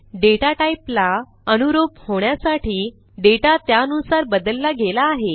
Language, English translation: Marathi, But to suit the data type, the data has been changed accordingly